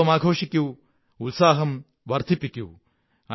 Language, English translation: Malayalam, Celebrate festivities, enjoy with enthusiasm